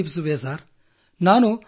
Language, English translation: Kannada, Will definitely convey Sir